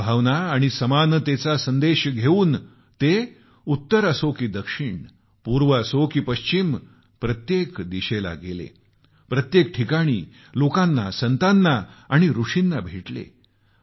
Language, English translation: Marathi, Carrying the message of harmony and equality, he travelled north, south, east and west, meeting people, saints and sages